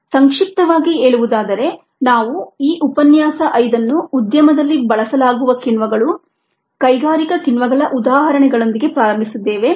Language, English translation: Kannada, ah, just to summaries, we ah started this lecture five with ah examples of enzymes being use in the industry ah, industrial enzymes